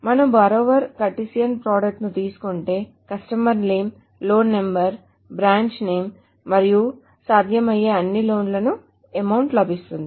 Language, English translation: Telugu, So if you take the borrower Cartesian product of loan, we get the information of customer name, loan number, loan number, branch name and amount for all the possible loans